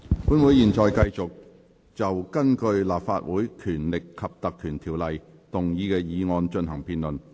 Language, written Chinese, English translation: Cantonese, 本會現在繼續就根據《立法會條例》動議的議案進行辯論。, This Council now continues with the debate on the motion under the Legislative Council Ordinance